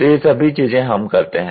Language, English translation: Hindi, So, all these things we do